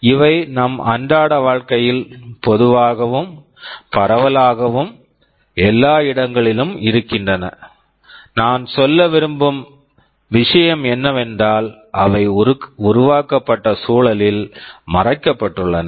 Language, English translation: Tamil, These are far more common in our daily life and pervasive, as they are everywhere, and the point I want to make is that, they are hidden in the environment for which they were created